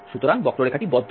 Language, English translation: Bengali, So, the curve is closed